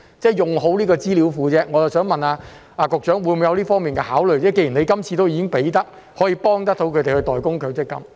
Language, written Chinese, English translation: Cantonese, 即是好好運用這個資料庫，我想問局長會否有這方面的考慮，既然今次已經可以幫助他們代供強積金？, That is to say will the Secretary consider making good use of this database given that currently he can already help them with MPF contributions?